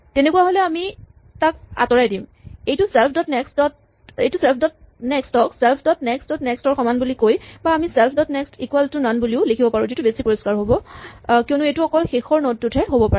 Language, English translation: Assamese, If so, then we remove it, this we can either write self dot next is equal to self dot next dot next or we could even just write self dot next is equal to none which is probably a cleaner way of saying it because it can only happen at the last node